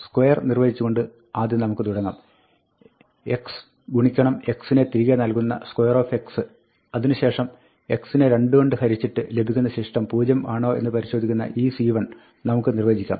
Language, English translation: Malayalam, Let us first begin by defining square; a square of x return x times x; then, we can define iseven x, to check that the remainder of x divided by 2 is 0